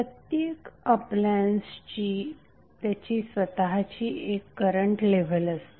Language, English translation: Marathi, So various appliances will have their own current level